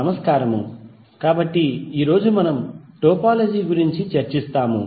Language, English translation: Telugu, Namashkar, so today we will discuss about the topology